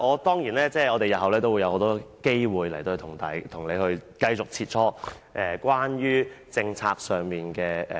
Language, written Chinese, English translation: Cantonese, 當然，我們日後還會有很多機會與局長繼續在審議政策上切磋。, Of course there will be many more opportunities for us to further exchange views with the Secretary in the scrutiny of policies in future